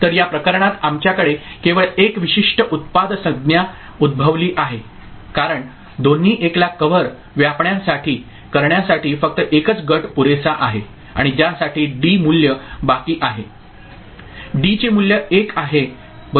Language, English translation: Marathi, So, in this case we have only one particular product term coming out of this because, only one group is sufficient to cover both the 1s right and for which D is remaining with a value, D is having a value 1 right